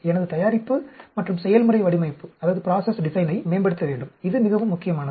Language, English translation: Tamil, Optimize my product and process design, this is very important